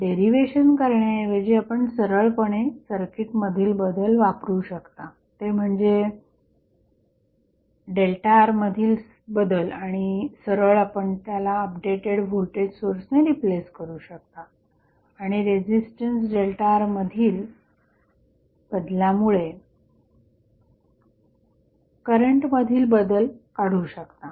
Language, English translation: Marathi, So, without going into the derivation, you can simply use the change in the circuit that is the change in delta R and you can replace directly with the updated voltage source and find out the change in current because of change in resistance delta R